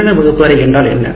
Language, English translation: Tamil, What is in electronic classroom